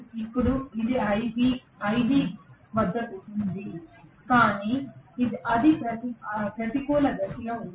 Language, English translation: Telugu, Now this is ib, ib is at it is peak but it is in the negative direction right